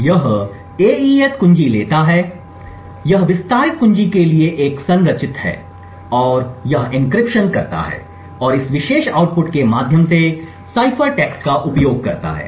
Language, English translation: Hindi, It takes the AES key this is a structured to the expanded key and it performs the encryption and find the use of cipher text through this particular output